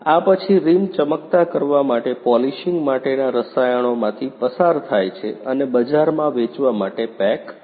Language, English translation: Gujarati, After this, the rim passes through chemicals for polishing to improve the shining and packed for selling in the market